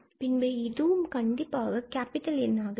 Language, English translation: Tamil, And, then this is indeed the capital N